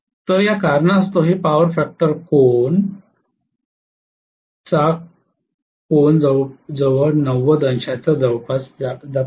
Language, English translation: Marathi, So this power factor angle happens to be almost close to 90 degrees because of this reason